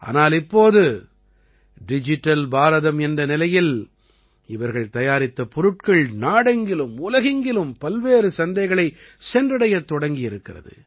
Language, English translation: Tamil, But now in this era of Digital India, the products made by them have started reaching different markets in the country and the world